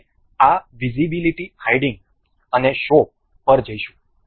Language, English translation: Gujarati, For that we will go to this visibility hide and show